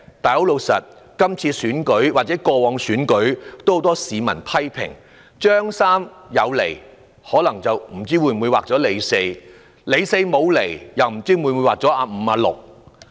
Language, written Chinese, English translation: Cantonese, 但今次或過往選舉中，也有很多市民批評，"張三"有出現，卻劃了"李四"；"李四"沒出現，卻劃了"阿五"或"阿六"。, However in the latest or past elections many people criticized that when Tom showed up the name Dick was crossed out; and when Dick did not show up the name Harry was crossed out